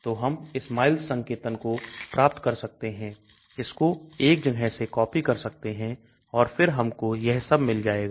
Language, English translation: Hindi, so we can get the SMILES notation copy it from 1 and then we can get this all